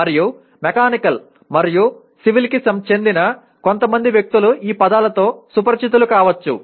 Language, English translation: Telugu, And maybe peripherally some people from Mechanical and Civil also maybe familiar with these words